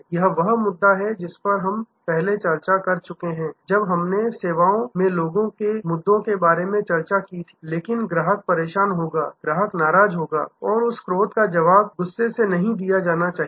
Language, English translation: Hindi, This is the issue that we are discussed earlier when we discussed about people issues in services, but the customer will be upset, customer will be angry and that anger should not be responded with anger